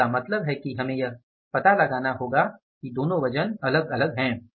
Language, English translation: Hindi, So, it means we have to find out that two weights are different